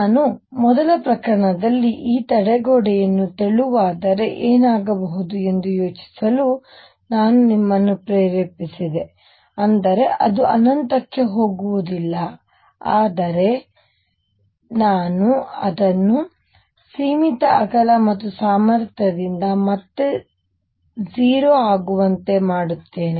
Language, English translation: Kannada, The first case I also motivated you to think that if I make this barrier thin; that means, it does not go all the way to infinity, but I make it of finite width and potentiality become 0 again